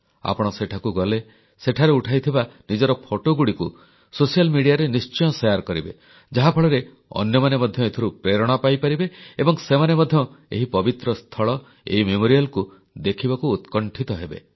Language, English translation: Odia, Whenever you are there, do capture images and share them on social media so that others get inspired to come & visit this sacred site with eagerness